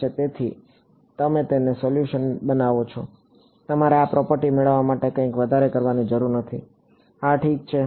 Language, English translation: Gujarati, So, you build it into the solution, you do not have to do something extra to get this property yeah ok